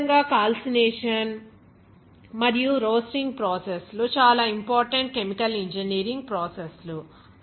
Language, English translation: Telugu, Similarly, calcination and roasting process is also very important chemical engineering processes there